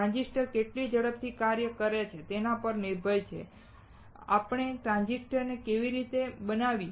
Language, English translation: Gujarati, And how fast a transistor works depends on how we fabricate the transistor